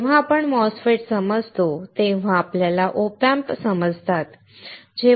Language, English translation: Marathi, When we understand MOSFETS, we understand OP amps